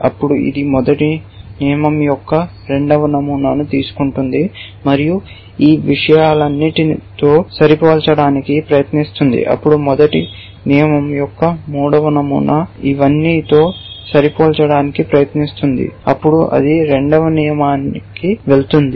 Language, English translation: Telugu, Then, it will take the second pattern of the first rule and try matching it with all these things, then the third pattern of the first rule try matching it with all of this then it will go to the second rule